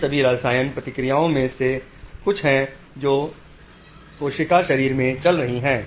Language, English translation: Hindi, These are some of the all chemical reactions which are going on in the cell body